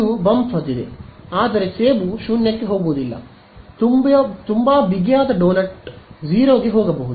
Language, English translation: Kannada, It has a bump, but apple does not go all the way to 0 right very tight donut can go to 0